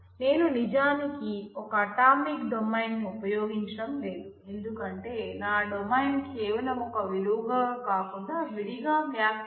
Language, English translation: Telugu, Then I am not actually using an atomic domain because my domain needs to be interpreted separately than just being a value